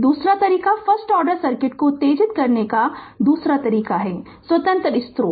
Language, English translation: Hindi, The second way second way to excite the first order circuit is by independent sources